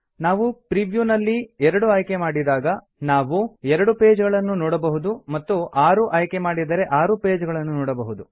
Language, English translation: Kannada, If we choose 2 then in the preview, we can see 2 pages.If we choose 6 then in the preview, we can see 6 pages